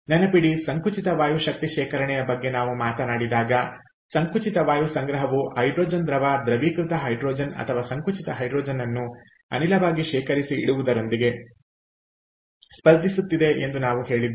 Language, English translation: Kannada, remember, when we talked about compressed air energy storage, we said that compressed air storage is competing with storage of hydrogen, liquid liquefied hydrogen or compressed hydrogen as gas